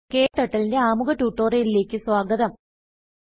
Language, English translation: Malayalam, Welcome to this tutorial on Introduction to KTurtle